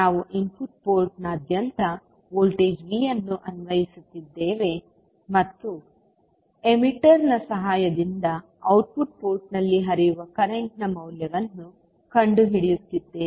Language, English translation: Kannada, We are applying the voltage V across input port and finding out the value of current which is flowing inside the output port with the help of emitter